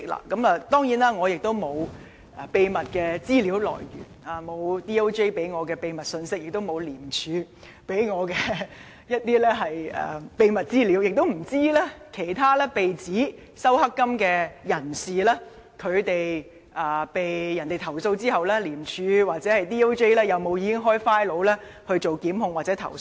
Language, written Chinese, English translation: Cantonese, 當然，我並沒有秘密的資料來源，律政司沒有給我秘密信息，廉政公署亦沒有給我秘密資料，更不知道其他被指收受"黑金"的人在被投訴後，廉署或律政司是否已經開立檔案進行檢控或投訴。, I certainly do not have any secret source of information source and neither DoJ nor the Independent Commission Against Corruption ICAC has given me any secret information . I also have no idea if ICAC or DoJ has opened a file to institute prosecution or lodge complaint against the person who has allegedly received black money